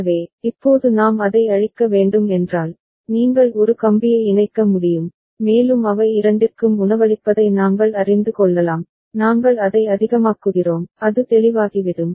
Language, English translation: Tamil, So, right now if we just need to clear it, you can connect one wire and we can you know feed it to both of them and we make it high, it will become clear ok